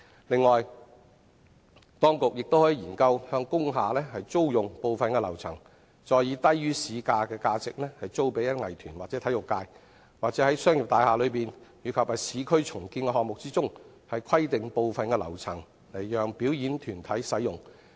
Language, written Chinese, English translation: Cantonese, 此外，當局亦可研究向工廈租用部分樓層，再以低於市價的價值租予藝團或體育界，或者在商業大廈內及市區重建項目中，規定部分樓層讓表演團體使用。, In addition the authorities can also study hiring certain floors of industrial buildings and then re - letting them out at a rate below market price to arts troupes or the sports sector or designating certain floors of commercial buildings and urban renewal projects for use by performing groups